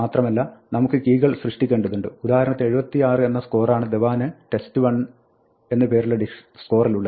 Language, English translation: Malayalam, And now we want to create keys, so suppose we will say score test 1, Dhawan equal to 76